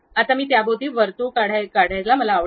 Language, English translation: Marathi, Now, I would like to draw a circle around that